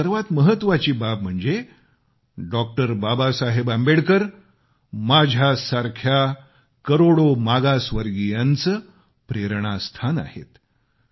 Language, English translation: Marathi, Baba Saheb Ambedkar is an inspiration for millions of people like me, who belong to backward classes